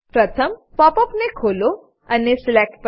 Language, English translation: Gujarati, First open the pop up menu and go to Select